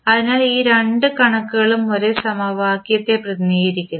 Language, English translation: Malayalam, So, both figures are representing the same equation